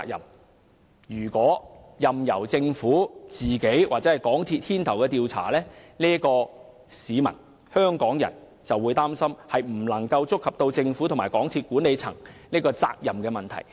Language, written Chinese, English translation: Cantonese, 香港市民擔心，如果任由政府或港鐵公司牽頭調查，將無法觸及政府和港鐵公司管理層的責任問題。, Hong Kong people are concerned that an inquiry led by the Government or MTRCL would not look into the issue of accountability of the Government and the management of MTRCL